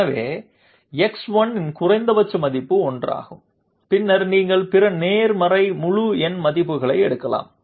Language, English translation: Tamil, So minimum value is 1 and then you can take other positive integer values